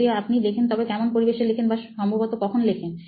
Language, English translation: Bengali, If at all you write, in what environment or when do you think you probably write